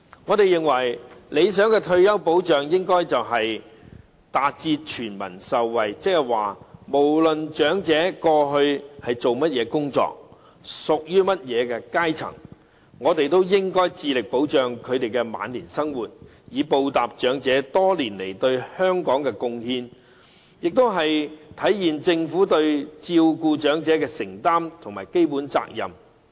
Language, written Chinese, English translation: Cantonese, 我們認為，理想的退休保障應該達致全民受惠，換句話說，不論長者過去從事甚麼工作，屬於甚麼階層，我們都應該致力保障他們的晚年生活，以報答長者多年來對香港的貢獻，並體現政府對照顧長者的承擔和基本責任。, This is understandable . In our view an ideal form of retirement protection should benefit all people . In other words regardless of what jobs the elderly did in the past and to which classes they belong we should strive to protect their livelihood in their twilight years so as to repay the elderly for their contribution to Hong Kong over the years and manifest the Governments commitment to and basic responsibility of looking after the elderly